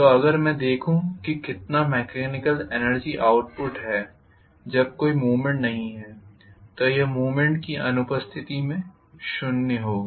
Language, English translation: Hindi, So if I look at how much is the mechanical energy output when there is no movement, this will be zero in the absence of movement